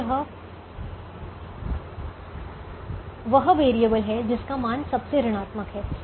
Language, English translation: Hindi, now this is the variable that has the most negative value